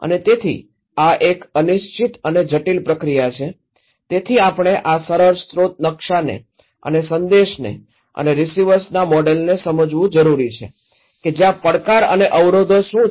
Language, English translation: Gujarati, And so, uncertain and complex process this one so, that we need to understand this simple source map source and message and receivers model how what are the challenge and barriers are there